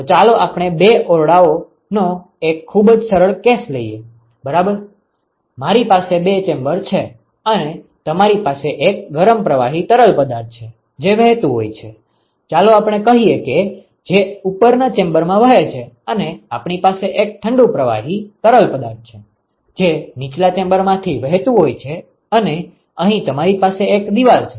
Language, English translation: Gujarati, So, let us take a very simple case of two chambers ok, I have two chambers and you have a hot fluid, which is flowing through let us say the upper chamber and we have a cold fluid which is flowing through the lower chamber and you have a wall here